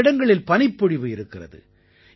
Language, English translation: Tamil, Many areas are experiencing snowfall